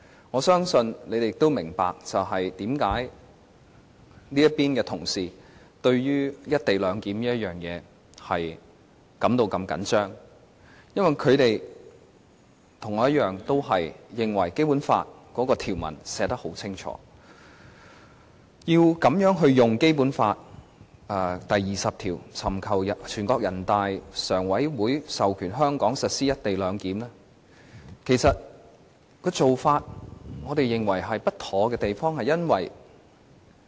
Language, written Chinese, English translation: Cantonese, 我相信大家也明白，為何這邊的同事對於"一地兩檢"如此在意，因為他們跟我一樣，認為《基本法》的條文寫得十分清楚，要如此運用《基本法》第二十條，尋求全國人民代表大會常務委員會授權香港實施"一地兩檢"，我們認為此做法不妥當。, I also trust that Members can understand why we on this side are so concerned about the co - location arrangement . We are of the view that the Basic Law provisions are very clear and it will be inappropriate to invoke Article 20 for the purpose of seeking authorization from the Standing Committee of the National Peoples Congress for Hong Kong to implement the co - location arrangement